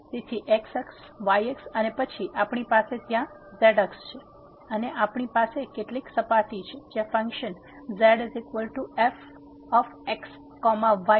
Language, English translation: Gujarati, So, axis, axis and then, we have axis there and we have some surface where the function z is equal to